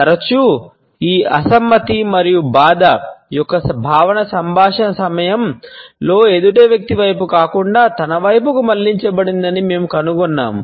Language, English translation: Telugu, Often, we find that this feeling of disapproval and distress is directed towards oneself rather towards the other person during the dialogue